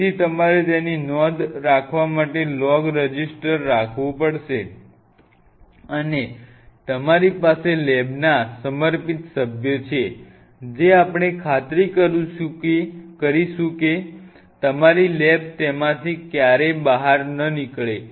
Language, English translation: Gujarati, So, you have to have log register keeping track of it and you have dedicated members of the lab, we will ensure that your lab never runs out of it